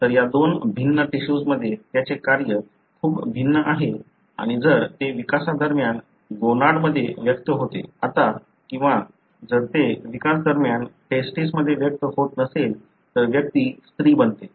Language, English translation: Marathi, So, it has very different function in these two different tissues and if it expresses in the gonad during development, now or if it doesn’t express in the testis during development, then the individual become female